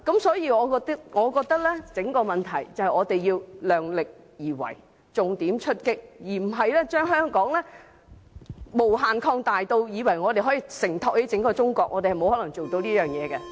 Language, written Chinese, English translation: Cantonese, 所以，我覺得整個問題是我們要量力而為，重點出擊，而不是把香港無限擴大至以為可以承托起整個中國，我們是沒有可能做到的。, Therefore I think the whole point is that we have to act according to our capabilities and take focused actions on this front instead of presuming that Hong Kong can be expanded infinitely so as to support the entire China . It is impossible that we can do this